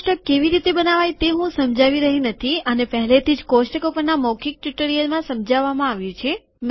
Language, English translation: Gujarati, I am not going to explain how to create this table, this has already been explained in the spoken tutorial on tables